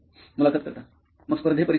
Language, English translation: Marathi, So for the competitive exams